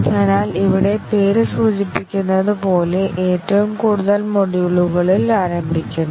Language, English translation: Malayalam, So here as the name implies start with the top most module